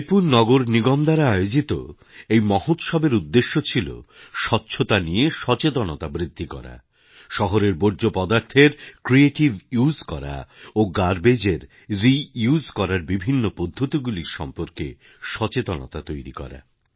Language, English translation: Bengali, The objective behind this festival sponsored by Raipur Municipal Corporation was to generate awareness about cleanliness and the methods using which city's waste can be creatively used and inculcate awareness about various ways to recycle the garbage